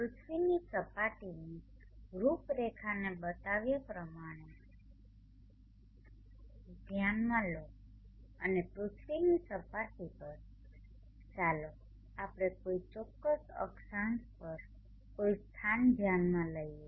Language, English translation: Gujarati, Consider the profile of the earth surface are shown and on the surface of the earth let us consider a locality at as specific latitude